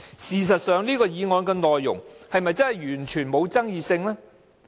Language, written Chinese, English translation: Cantonese, 事實上，附屬法例的內容是否完全沒有爭議性？, In fact are the provisions of the subsidiary legislation completely uncontroversial?